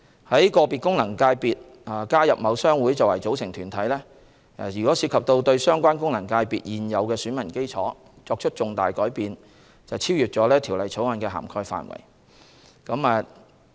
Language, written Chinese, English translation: Cantonese, 在個別功能界別中加入某商會作為組成團體，涉及對相關功能界別現有選民基礎作出重大改變，超越了《條例草案》的涵蓋範圍。, The inclusion of a certain trade association in a particular FC as an umbrella organization would involve a significant change to the electorate of the FC concerned and fall outside the scope of the Bill